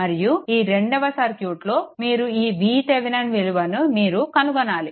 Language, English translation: Telugu, And other case, that you have to find out that this V Thevenin you have to obtain